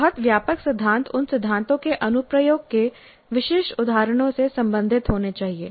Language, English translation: Hindi, The very broad principles must be related to specific instances of the application of those principles